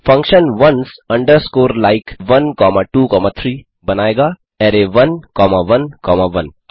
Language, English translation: Hindi, The function ones underscore like in 1 comma 2 comma 3 will generate array 1 comma 1 comma 1